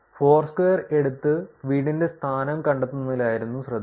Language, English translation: Malayalam, And the focus was actually taking foursquare and finding the home location